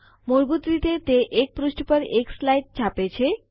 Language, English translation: Gujarati, By default, it prints 1 slide per page